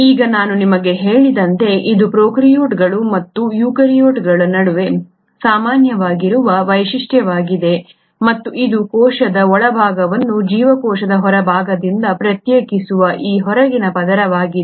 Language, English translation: Kannada, Now as I told you this is a feature which is common both between the prokaryotes and the eukaryotes and it is this outermost layer which segregates the interior of a cell from the exterior of a cell